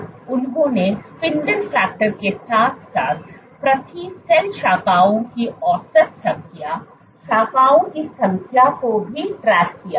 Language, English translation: Hindi, And what they also tracked was spindle factor also tracked the number of branches, average number of branches per cell